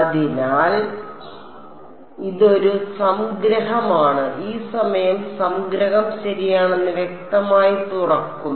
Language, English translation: Malayalam, So, it is a summation and this time will explicitly open up the summation ok